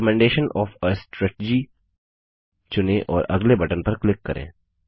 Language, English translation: Hindi, Select Recommendation of a strategy and click on the Next button